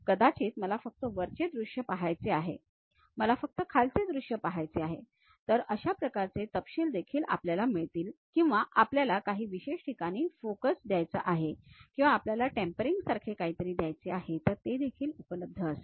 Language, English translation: Marathi, Maybe I would like to see only top view, I would like to see only bottom view, that kind of details also we will get it or we want to give some specialized focus, we want to give something like a tapering that is also available